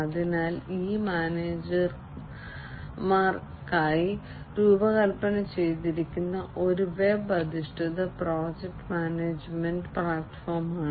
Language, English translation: Malayalam, So, this is a web based project management platform that is designed for managers